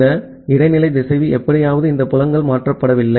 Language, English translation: Tamil, All these fields that this intermediate router somehow there this fields has not got changed